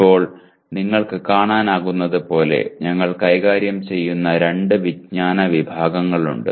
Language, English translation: Malayalam, Now as you can see, there are two knowledge categories that we are dealing with